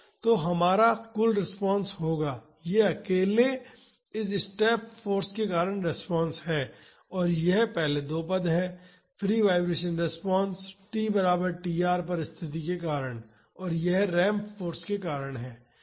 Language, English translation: Hindi, So, our total response would be, this is the response due to this step force alone and this is the first two terms are the free vibration response, due to the condition at t is equal tr and that is because of the ramped force